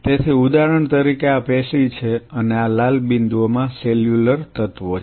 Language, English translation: Gujarati, So, say for example, this is the tissue and these are the cellular elements in the red dots right